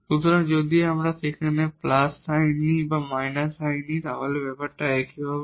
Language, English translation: Bengali, So, does not matter if we take plus sign there or minus sign the value will be the same